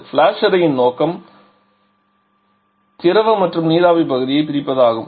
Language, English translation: Tamil, The purpose of the flash chamber is to separate out the liquid and vapour part